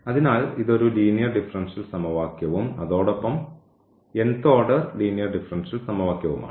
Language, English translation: Malayalam, So, it is a linear differential equation and nth order linear differential equation